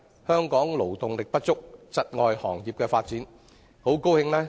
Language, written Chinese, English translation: Cantonese, 香港勞動力不足，窒礙各行各業的發展。, Hong Kongs labour shortage has hindered the development of various sectors and industries